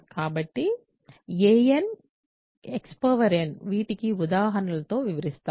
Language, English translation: Telugu, So, a n x n so, I will describe these in examples